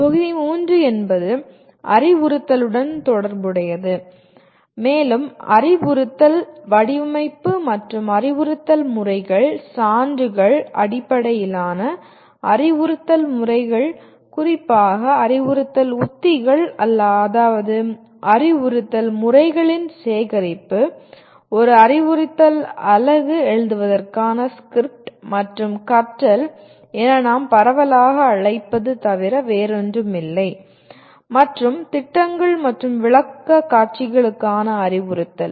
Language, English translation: Tamil, And module 3 is related to “instruction” and we will talk about instruction design and instructional methods, evidence based instructional methods particularly instructional strategies which are nothing but a collection of instructional methods, script for writing an instructional unit and what we broadly call as learning design and then also look at instruction for projects and presentations